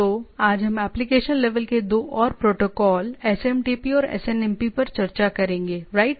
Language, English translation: Hindi, So, today we will discuss about two more protocol at the application level, right SMTP and SNMP